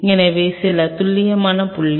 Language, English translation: Tamil, So, that is precisely is the point